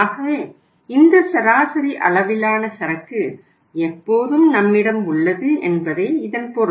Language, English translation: Tamil, So it means we have this level of inventory, average level of inventory which we all the times maintain